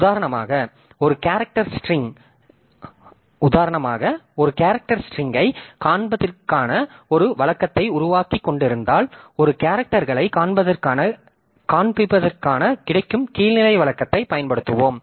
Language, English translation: Tamil, So, like that it, for example, if we are developing a routine for displaying a character string, so we will be using the lower level routine that is available for displaying a characters